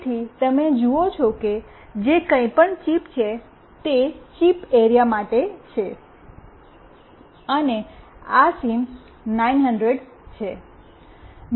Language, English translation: Gujarati, So, you see that whatever is the chip this is for the chip area, and this is the SIM900